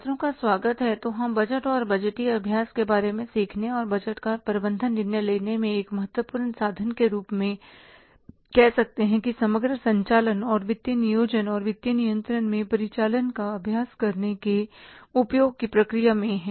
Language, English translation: Hindi, So, we are in the process of learning about the budgets and the budgetary exercise and using the budget as a, say, important instrument in management decision making in the, say, overall operating and financial planning and exercising the operating and financial control